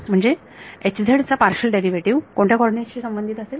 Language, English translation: Marathi, So, partial derivative of H z with respect to which coordinate